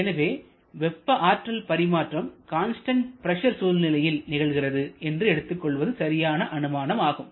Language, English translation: Tamil, So, it is more realistic to assume this heat exchange to be happening at constant pressure